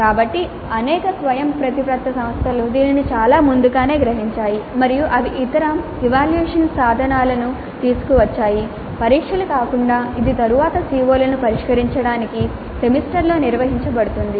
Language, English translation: Telugu, So, several autonomous institutes realize this very early and they brought in other assessment instruments other than tests which could be administered later in the semester to address the later COS